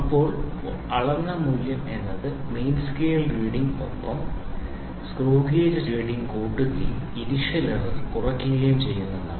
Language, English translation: Malayalam, Now the measured value measured value is main scale main scale reading plus screw gauge, screw gauge reading minus the error the initial error whatever we had